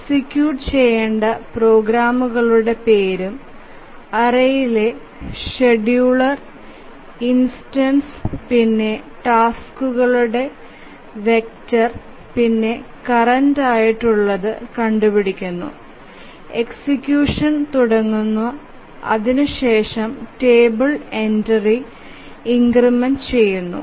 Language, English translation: Malayalam, So, just name of the programs executables that to be executed and the scheduler just indexes in this array of the vector of tasks and then finds out the current one, initiates execution and increments the entry to the table